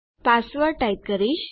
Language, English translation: Gujarati, I type my password